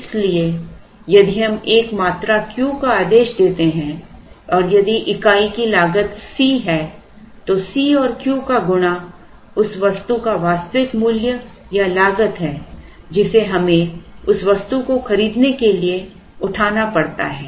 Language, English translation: Hindi, So, if we order a quantity Q and if the unit cost is C then Q into C is the actual worth or cost of the item that we have to incur when we buy that item